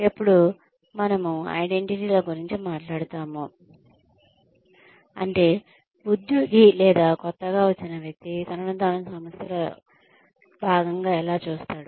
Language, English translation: Telugu, When, we talk about identities, we mean, how the employee, or how the newcomer, sees herself or himself, as a part of the organization